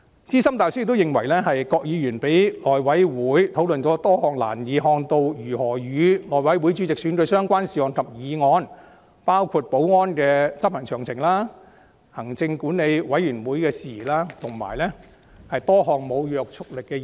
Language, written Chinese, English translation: Cantonese, 資深大律師亦認為，"郭議員讓內會委員討論了多項難以看到如何與內會主席選舉相關的事項及議案，包括立法會大樓保安的安排及執行詳情、立法會行政管理委員會管轄的事宜，以及多項無約束力的議案。, The Senior Counsel also considered that [Mr Dennis KWOK] allowed HC members to have discussions on a number of issues and motions covering the security arrangements and their implementation in the [Legislative Council] Complex matters under the purview of The Legislative Council Commission as well as a number of non - binding motions . [] [I]t is difficult to see how such discussions could be relevant to the election of the HC chairman